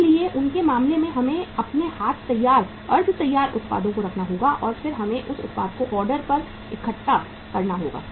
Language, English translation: Hindi, So in their case, we will have to keep the say semi finished products ready with us and then we have to assemble that say product to the order